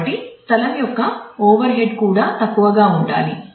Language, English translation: Telugu, So, that overhead of space should also be minimal